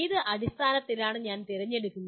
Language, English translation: Malayalam, On what basis do I select